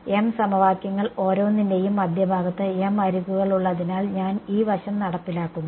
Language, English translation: Malayalam, m equations because there are m edges at the center of each I am enforcing this side